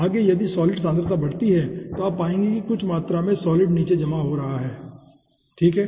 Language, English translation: Hindi, next, if the solid concentration increases, then you will be finding out that some amount of solid is getting settled down